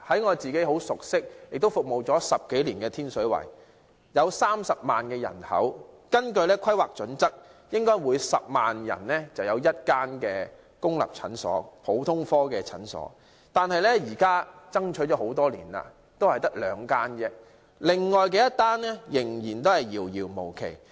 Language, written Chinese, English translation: Cantonese, 我自己很熟悉和10多年來服務的天水圍有30萬人口，根據《規劃標準》，每10萬人便應有1間公立普通科診所，雖然經過多年爭取，天水圍現在只有兩間公立普通科診所，另外1間仍然遙遙無期。, I am very familiar with Tin Shui Wai as I have been serving the district with a population of 300 000 for more than 10 years . According to HKPSG there should be one public general clinic for every 100 000 persons . Despite years of striving there are only two public general clinics in Tin Shui Wai and another clinic will not be available in the foreseeable future